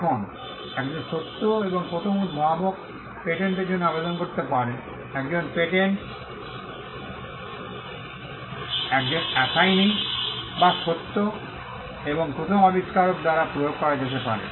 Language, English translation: Bengali, Now, a true and first inventor can apply for a patent; a patent can also be applied by an assignee or of the true and first inventor